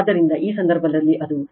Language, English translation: Kannada, So, in this case, it will be 2